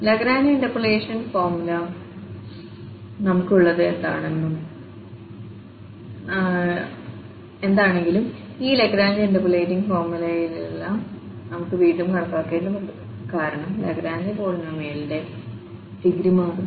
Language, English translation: Malayalam, Whereas in this Lagrange interpolation formula what we have, we have to compute again all these Lagrange interpolating polynomials, the Lagrange polynomials, because the degree of the Lagrange polynomial will change